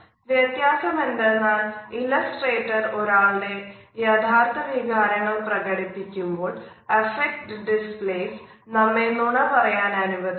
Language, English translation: Malayalam, The only difference is that illustrators, illustrate the true intention of a person, but affect displays allow us to tell a lie